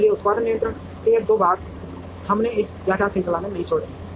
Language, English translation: Hindi, So, these two parts of production control, we have not touched in this lecture series